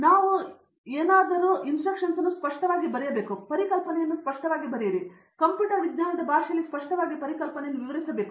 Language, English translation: Kannada, We just need them to write the proof clearly, write the concepts clearly, and explain the concept clearly in the language of computer science